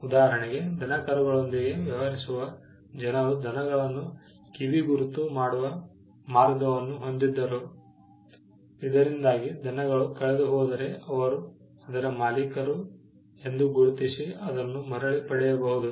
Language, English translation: Kannada, For instance, people who dealt with cattle had a way by which they could earmark the cattle so that if the cattle got lost, they could identify that as the owners and claim it back